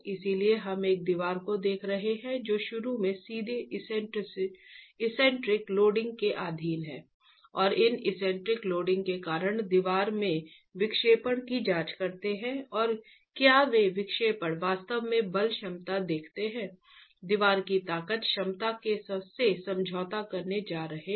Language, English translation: Hindi, So we are looking at a wall that is initially straight, subjected to eccentric loading and examine the deflections in the wall due to this eccentric loading and see if those deflections are actually going to compromise the force capacity, the strength capacity of the wall itself